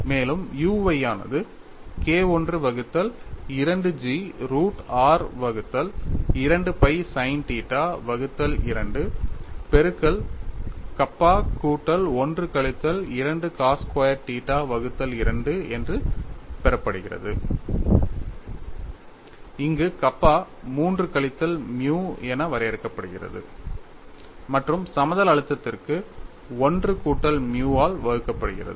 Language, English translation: Tamil, Then you have u y equal to K 1 by 2 G root of r by 2 pi sin theta by 2 multiplied by kappa plus 1 minus 2 cos squared theta by 2, where kappa is defined as 3 minus nu divided by 1 plus nu for plane stress; it is given as 3 minus 4 nu for plane strain and g is the shear modulus